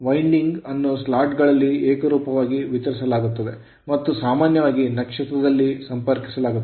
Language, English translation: Kannada, The winding is uniformly distributed in the slots and is usually connected in start right